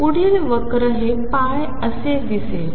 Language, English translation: Marathi, The next curve is going to look like this is pi